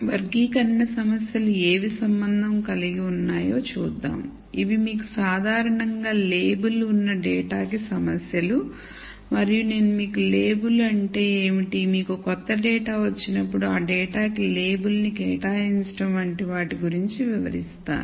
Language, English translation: Telugu, So, let us look at what classi cation problems relate to so these are types of problems where you have data which are in general labeled and I will explain what label means and whenever you get a new data you want to assign a label to that data